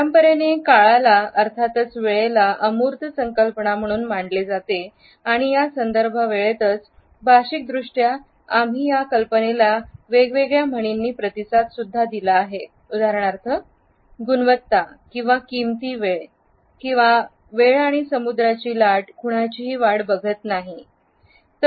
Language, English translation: Marathi, Conventionally time has been treated as an abstract concept and it is in this context that linguistically we have responded to this idea, representing it in different idioms and phrases for example, quality time or time and tide wait for none